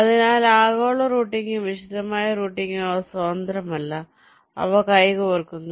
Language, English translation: Malayalam, ok, so global routing and detailed routing, they are not independent, they go hand in hand